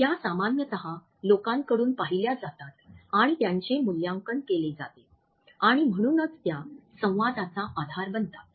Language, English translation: Marathi, They can normally be seen and evaluated by people and therefore, they form the basis of communication